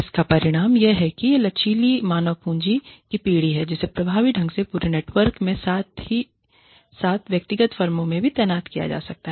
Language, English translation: Hindi, The result of this is, there is generation of flexible human capital, which can be effectively deployed across the network, as well as, within individual firms